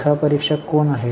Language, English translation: Marathi, Who are auditors